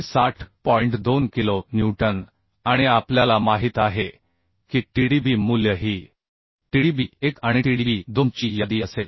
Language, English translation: Marathi, 2 kilonewton and we know Tdb value will be the least of Tdb1 and Tdb2 So least of Tdb1 and Tdb2 is becoming 460